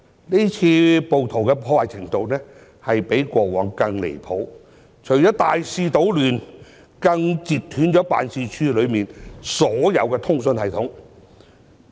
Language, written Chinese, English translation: Cantonese, 這次暴徒的破壞程度比過往更離譜，除了大肆搗亂，更截斷辦事處內的所有通訊系統。, The damage done by rioters this time is even more outrageous than before because apart from causing extensive destruction all communication systems in the office were damaged